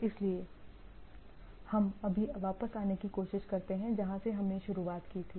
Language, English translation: Hindi, So, we just try to come back where we started from